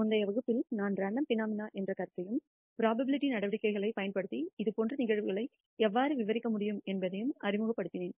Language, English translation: Tamil, In the previous lecture I introduced the concept of Random Phenomena and how such phenomena can be described using probability measures